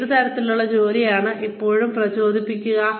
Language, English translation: Malayalam, What kind of work is it, that will still motivate you